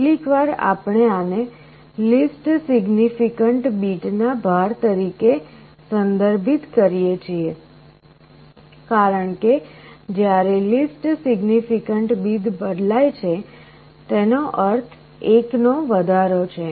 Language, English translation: Gujarati, Sometimes we refer to this as the weight of the least significant bit because, when the least significant bit changes that also means an increase of 1